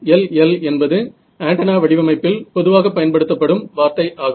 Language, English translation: Tamil, SLL is a very commonly used word in antenna and design that's why I mention it over here